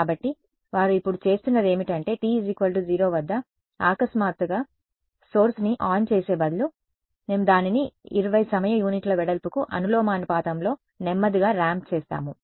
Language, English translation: Telugu, So, what they are doing now is they are this instead of turning a source on suddenly at t is equal to 0, we ramp it slowly over a time proportional to the width of 20 time units